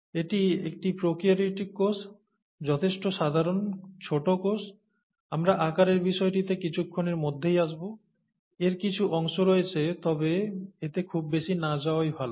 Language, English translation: Bengali, This is a prokaryotic cell, a simple enough cell here, typically small, we’ll come to sizes in a minute, it has some parts, let’s not get too much into it